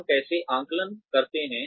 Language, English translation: Hindi, How do we assess